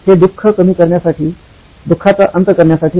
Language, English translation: Marathi, It is to mitigate the suffering, to put an end to the suffering